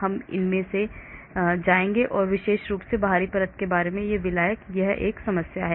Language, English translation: Hindi, We will not go into that especially the solvent in the outermost layer has this problem